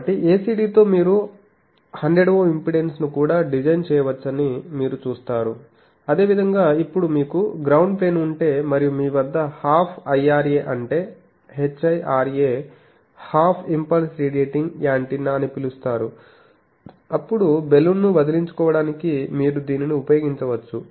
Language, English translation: Telugu, So, you see that with ACD you can design a 100 Ohm impedance also Similarly now if you have a ground plane, and if you have half of the IRA that is called HIRA Half Impulse Radiating Antenna then to get rid of Balun you can use this